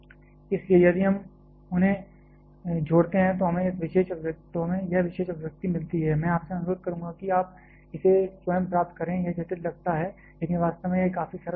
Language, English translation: Hindi, So, if we combine them we get this particular expression, I would request you to derive this on your own this looks complicated, but actually it can be quite simple